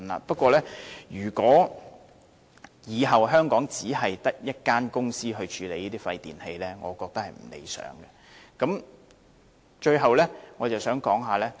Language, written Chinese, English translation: Cantonese, 不過，如果往後香港只有一間公司處理這些廢電器，我認為是不理想的。, However if there is only one company handling all the e - waste in Hong Kong in future I think it is undesirable